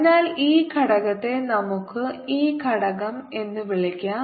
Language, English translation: Malayalam, so this component, let's call it e component